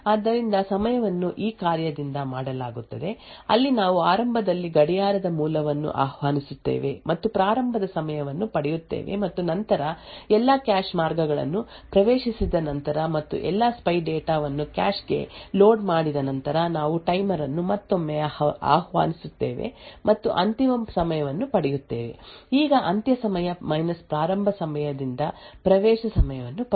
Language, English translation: Kannada, So the timing is done by this function, where initially we invoke a clock source and get the starting time and then after accessing all the cache ways and loading all the spy data into the cache then we invoke the timer again and get the end time, now the access time is given by end start